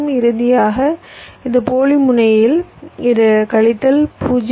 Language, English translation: Tamil, and finally, at this dummy node, it is minus point three, five